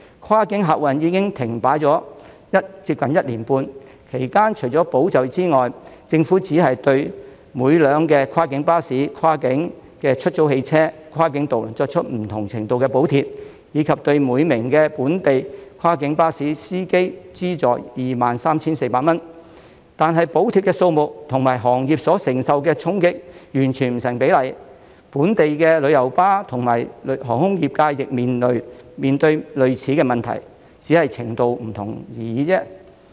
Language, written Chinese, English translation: Cantonese, 跨境客運已經停擺接近1年半，其間除了保就業之外，政府只是對每輛跨境巴士、跨境出租汽車、跨境渡輪作出不同程度的補貼，以及對每名本地跨境巴士司機資助 23,400 元，但補貼的數目與行業所承受的衝擊完全不成比例，本地的旅遊巴和航空業亦面對類似的問題，只是程度不同而已。, During this period apart from safeguarding jobs the Government has only provided varying degrees of subsidies to each cross - boundary coach cross - boundary hire car and cross - boundary ferry and each local cross - boundary coach driver can receive 23,400 . However the amount of subsidy is totally disproportionate to the impact on the industry . The local coach and airline industries are also facing similar problems only to a different extent